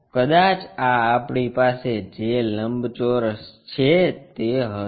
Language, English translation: Gujarati, Maybe this is the rectangle what we have